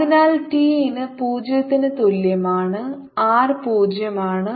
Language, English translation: Malayalam, so we have r t is equal to v t